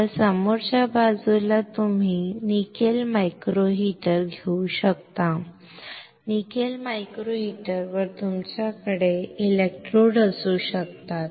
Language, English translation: Marathi, Now in the front side you can have the nickel micro heater, on nickel micro meter you can have electrodes